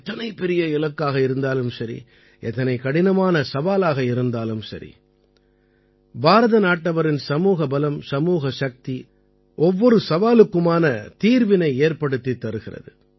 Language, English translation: Tamil, Be it the loftiest goal, be it the toughest challenge, the collective might of the people of India, the collective power, provides a solution to every challenge